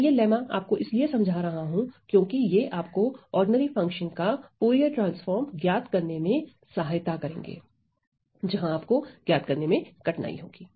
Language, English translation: Hindi, Why I am showing you this lemmas is because to help you to evaluate Fourier transforms of ordinary functions where they are not where you are not able to evaluate them